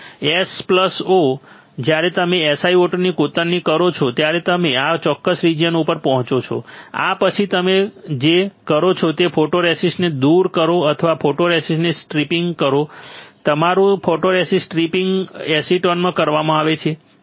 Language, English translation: Gujarati, S+o, when you etch SiO 2 you reach to this particular region, after this what you do you remove the photoresist removing a photoresist or stripping a photoresist is done in photoresist stripper that is your acetone